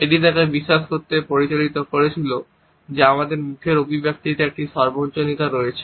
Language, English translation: Bengali, It led him to believe that there is a universality in our facial expressions